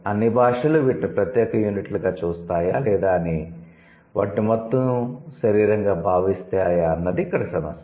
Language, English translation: Telugu, So whether all languages see these as separate units or they consider it just a whole body